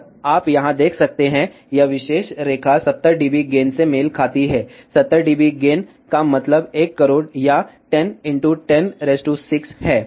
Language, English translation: Hindi, And you see over here, this particular line corresponds to 70 dB gain; 70 dB gain implies 1 or 10 million